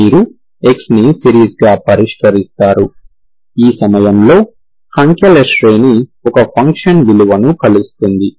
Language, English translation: Telugu, You fix x as the series, the series of numbers, this converges to a function value at the point